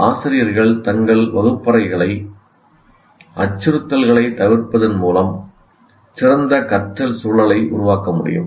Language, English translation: Tamil, Teachers can make their classroom better learning environments by avoiding threats